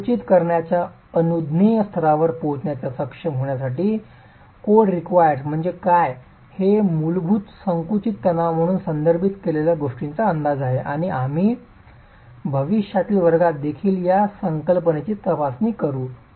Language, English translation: Marathi, To be able to arrive at the permissible level of compressive stress, what the code requires is that the estimate of what is referred to as a basic compressive stress and we will examine this concept in future classes as well